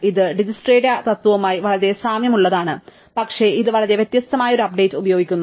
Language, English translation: Malayalam, It is very similar to Dijkstra in principle but it uses a very different update